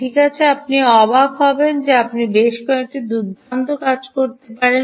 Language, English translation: Bengali, well, you will be surprised that you can do several nice things